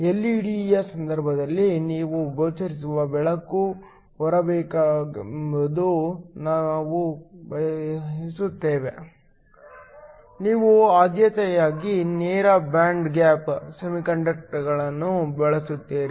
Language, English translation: Kannada, In the case of an LED, since we want a visible light to come out, you preferentially use direct band gap semiconductors, the phenomenon of electro luminescence